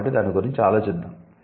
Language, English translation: Telugu, So, let's think about it